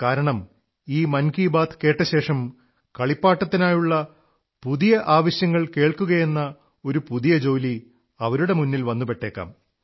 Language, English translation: Malayalam, By the way, I apologize to the parents, listening to 'Mann Ki Baat', as, after this, they might face an additional task of hearing out new demands for toys